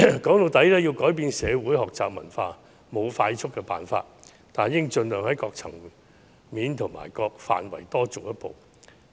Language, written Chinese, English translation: Cantonese, 說到底，要改變社會學習文化就是沒有快速的方法，但大家應盡量在各層面和各範圍多做一步。, After all while there is not any fast track to changing the societys culture of learning it is necessary for us to take one more step at all levels and in all areas as far as practicable